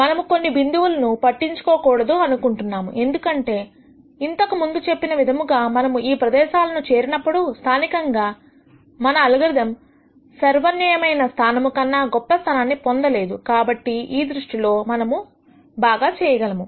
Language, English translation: Telugu, We want to avoid points like this because as I described before when we reach these kinds of regions while locally we cannot make our algorithm nd anything better we know that globally this is not the best